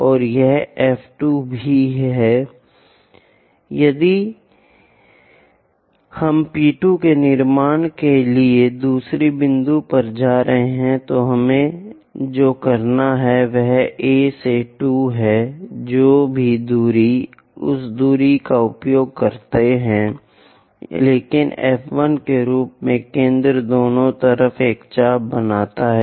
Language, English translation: Hindi, Now, if we are moving to the second point to construct P 2 what we have to do is from A to 2 whatever the distance use that distance, but centre as F 1 make an arc on either side